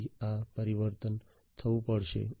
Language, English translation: Gujarati, So, this transformation will have to take place